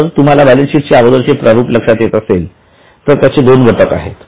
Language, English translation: Marathi, If you remember the format of balance sheet earlier, it has two components